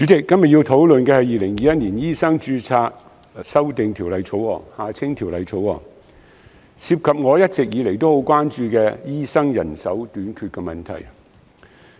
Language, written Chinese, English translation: Cantonese, 主席，今天要討論的是《2021年醫生註冊條例草案》，涉及我一直以來很關注的醫生人手短缺問題。, President todays discussion is about the Medical Registration Amendment Bill 2021 the Bill which involves my long - standing concern over the manpower shortage of doctors